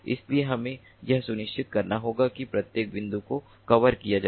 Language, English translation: Hindi, we have to ensure that each and every point is covered